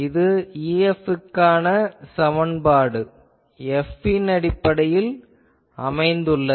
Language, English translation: Tamil, I now have an expression for E F in terms of F